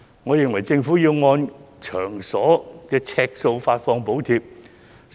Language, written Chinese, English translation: Cantonese, 我認為政府要按場所呎數發放補貼。, In my view the Government should provide subsidies based on the floor area of the venues